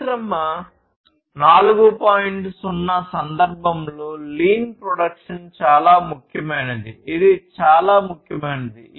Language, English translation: Telugu, 0 lean production is paramount; it is something very important